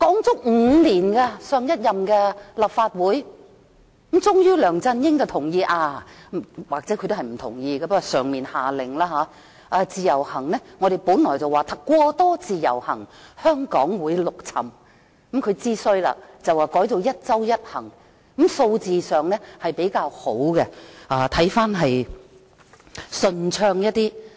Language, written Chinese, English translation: Cantonese, 就此，立法會已經討論了5年，最終梁振英同意——或許他其實不同意，不過內地下了命令——我們說"過多自由行，香港會陸沉"，他知道情況不妙了，遂改為"一周一行"，數字上比較好，情況看起來也順暢一點。, The Legislative Council has been discussing this issue for five years . Eventually LEUNG Chun - ying agreed―or perhaps he did not agree but the Mainland gave the order―as we said too many IVS visitors will sink Hong Kong . Then he knew the situation was not good and IVS was thus changed to one trip per week